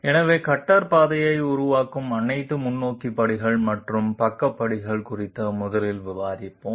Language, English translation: Tamil, So we will be discussing 1st of all forward steps and side steps which make up the cutter path